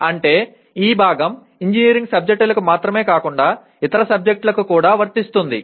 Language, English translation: Telugu, That means this part will apply not only to engineering subjects but to any other subject as well